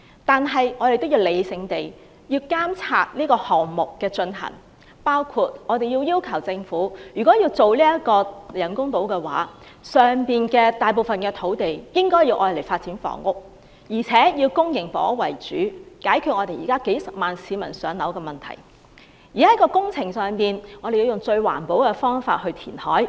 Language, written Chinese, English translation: Cantonese, 不過，我們亦要理性地監察這個項目的推行，要求政府確保人工島建成後，大部分土地均作發展房屋之用，並要以公營房屋為主，解決現時幾十萬市民無法"上樓"的問題，並且要確保政府會採用最環保的方法填海。, However we must also rationally monitor the implementation of this project and ask the Government to ensure that the reclaimed land in the artificial islands will mainly be used for housing development public housing mainly so as to resolve the current problem of several hundred thousand people not being allocated with public housing . We also have to ensure that the Government will adopt the most environmentally friendly method to reclaim land